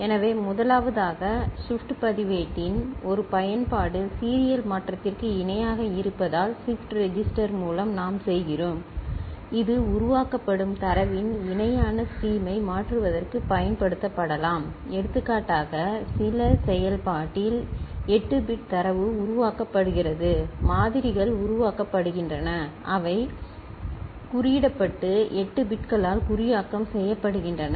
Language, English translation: Tamil, So, the first of all what we see is as one application of shift register is parallel to serial conversion that we do through shift register that can be used for converting a parallel stream of data that is getting generated; for example, in some process say 8 bit data is generated, samples are generated which is coded, encoded by 8 bits